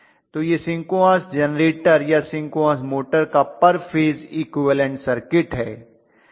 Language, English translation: Hindi, So this is my per phase equivalent circuit of the synchronous generator or synchronous motor, in general synchronous machine